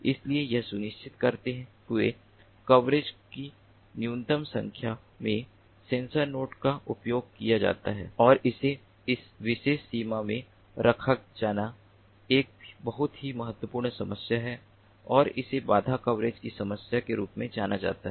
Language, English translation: Hindi, so the coverage, while ensuring that minimum number of sensor nodes are used at and has to be placed in that particular border, is a very important problem and is known as the problem of barrier coverage